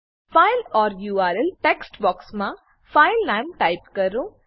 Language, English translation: Gujarati, Type the file name in the File or URL text box